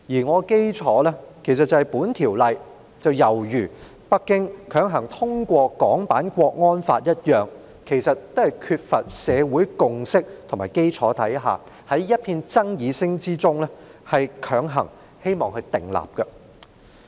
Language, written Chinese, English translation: Cantonese, 我的基礎是《條例草案》猶如北京強行訂立港區國安法一樣，在缺乏社會共識的基礎下，希望在一片爭議聲中強行通過《條例草案》。, My argument is based on the fact that the passage of the Bill similar to the forcible enactment of the national security law in Hong Kong by Beijing is intended to be bulldozed through amidst bitter controversies in the absence of a consensus in society